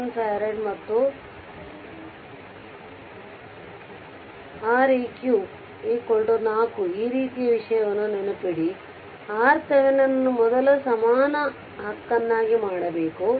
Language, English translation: Kannada, 1 farad, and this R this is Req is equal to 4 remember for this kind of thing we have to make the R thevenin first equivalent right